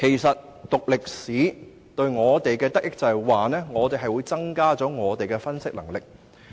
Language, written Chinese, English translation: Cantonese, 修讀歷史對我們的益處，是可以增強我們的分析能力。, The benefit of studying history is that it enhances our analytical power